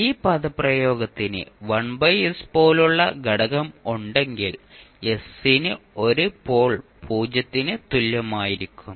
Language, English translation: Malayalam, Means if this expression is having another component like one by s then you will have one pole at s is equal to 0